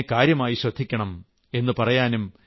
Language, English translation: Malayalam, You must pay attention to that